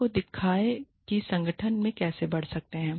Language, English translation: Hindi, Show people, how they can rise, in the organization